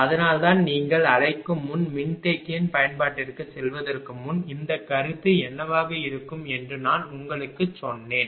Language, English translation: Tamil, So, that is why before your what you call going to the application of capacitor this much I told you that will be the concept